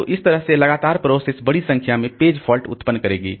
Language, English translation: Hindi, So that way continually the process will generate large number of page faults